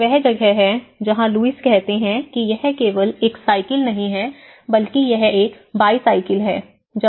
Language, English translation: Hindi, It is where the Lewis calls it is not just a cycle he calls it is a bicycle